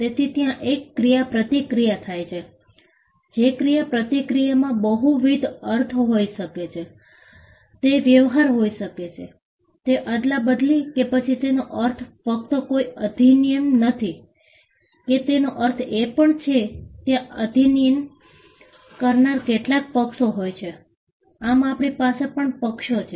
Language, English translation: Gujarati, So, there is an interaction, interaction can have multiple connotations, it can be a dealing, it can be exchange and it also means; it just not means that there is an act, it also means that there are parties who perform the act, so we have parties as well